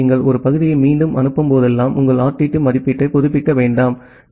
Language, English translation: Tamil, So, you do not update your RTT estimation whenever you are retransmitting a segment